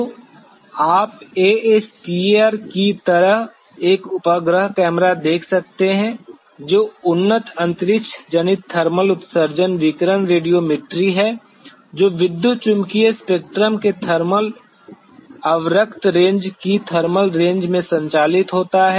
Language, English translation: Hindi, So, you could see a satellite camera like ASTER which is advanced space borne thermal emission radiation radiometry which operates in the thermal range of the thermal infrared range of the electromagnetic spectrum